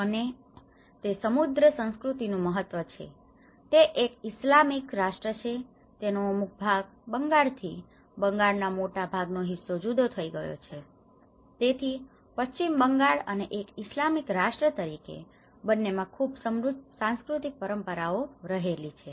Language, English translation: Gujarati, And it has a very rich cultural importance, one is being an Islamic nation and also partly it has some because it has been splitted from the Bengal; the larger part of the Bengal so, it has a very rich cultural traditions of both what you see in the West Bengal and at the same time as the Islamic as a nation